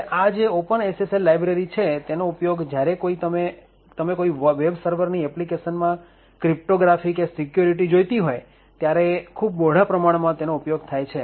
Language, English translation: Gujarati, Now this particular open SSL library is widely used essentially when you want cryptography or security in your web server applications